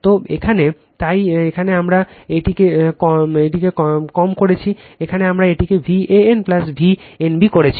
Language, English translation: Bengali, So, this here that is why here we have made it low, here we made it V a n plus V n b here